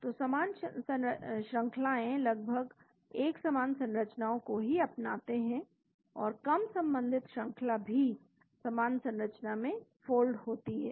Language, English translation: Hindi, So, similar sequences adopt practically identical structures and distantly related sequences still fold into similar structure